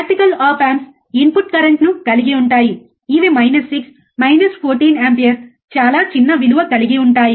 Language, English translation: Telugu, The practical op amps have input currents which are extremely small order of minus 6 minus 14 ampere, right